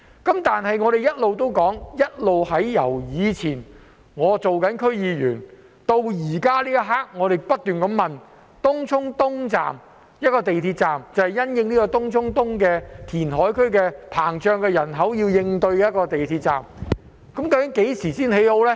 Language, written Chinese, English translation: Cantonese, 不過，由我以前擔任區議員至今，我不斷問及東涌東站，即是因應東涌東填海區的人口增加而興建的一個港鐵站，究竟何時才會建成呢？, However up to the present since I served as a member of the District Council I have kept asking about Tung Chung East Station which is an MTR station constructed to cope with the population growth in the Tung Chung East reclamation area . When will it be commissioned?